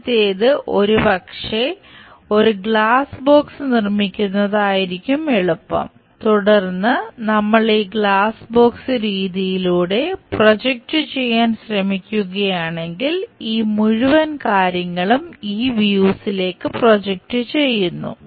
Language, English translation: Malayalam, The first one is maybe it is easy to construct a glass door kind of thing, then if we are trying to project on to this glass doors box method, this entire thing projects onto this views